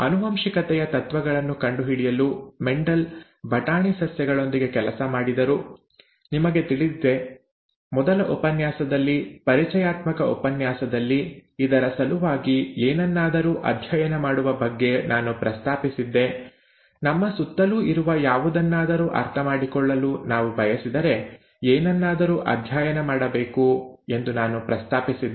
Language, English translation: Kannada, Mendel worked with pea plants to discover the principles of inheritance, you know, the very first lecture, the introductory lecture, I had mentioned about studying something for the sake of it, studying something because we want to understand something that exists around us